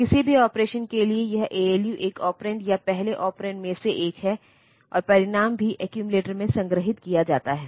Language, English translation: Hindi, So, for any operation this ALU the any ALU operation this accumulator is taken as one of the operand or the first operand, and the result is also stored in the accumulator